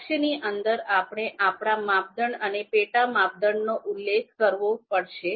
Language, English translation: Gujarati, So within goal, we would be you know we have to specify our criteria and sub criteria also